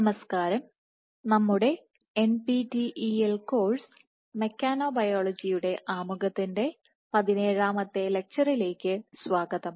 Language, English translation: Malayalam, Hello and welcome to our 17th lecture of NPTEL course introduction to mechanobiology